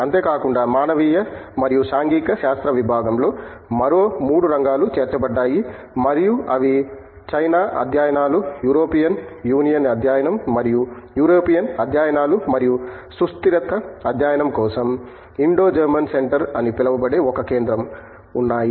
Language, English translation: Telugu, Apart from that, Department of Humanities and Social Sciences has 3 more areas which has been added and they are like China studies, European studies that is European union study and also there is a center called Indo German center for sustainability study